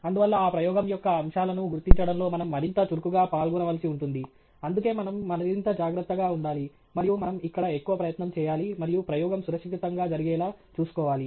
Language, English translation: Telugu, And so, we have to be even more actively involved in figuring out the aspects of that experiment that require us to be more careful, and you know, where we have to put in more effort and ensure that the experiment is carried out safely